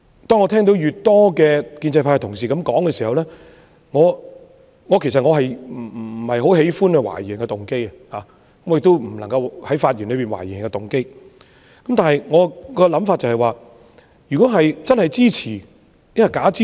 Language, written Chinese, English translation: Cantonese, 當我聽到越來越多建制派同事這樣說時——我不喜歡懷疑別人的動機，我亦不應該在發言裏面懷疑別人的動機——但我的想法是，如果是支持，是否真的支持？, When I heard more and more Honourable colleagues of the pro - establishment camp say so―I do not like to impute to other people motives and I should not do so in my speech―I was wondering for those who have expressed support is their support genuine?